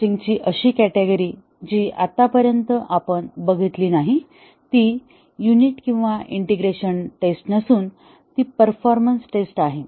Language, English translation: Marathi, The other category of testing which are so far not been tested, neither in unit or integration testing are the performance tests